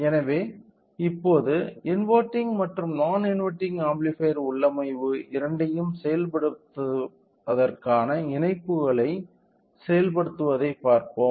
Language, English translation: Tamil, So, now, let us see the implementation or the connections of implementing both inverting amplifier configuration and non inverting